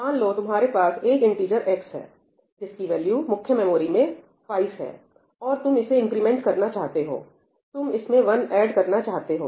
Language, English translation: Hindi, Let us say, you have an integer x with value 5 in the main memory, and you want to, let us say, increment it, you want to add one to it